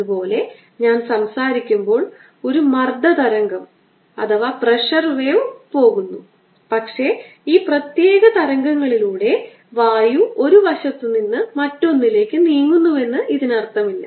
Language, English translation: Malayalam, similarly, when i am speaking, there is a pleasure wave that is going, but does not mean that air is moving from one side to the other